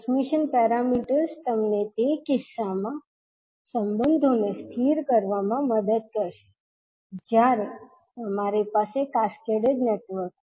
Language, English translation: Gujarati, So the transmission parameters will help you to stabilise the relationship in those cases when you have cascaded networks